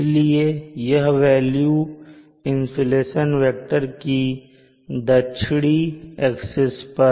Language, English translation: Hindi, s, so this would be the value of the insulation vector along this south axis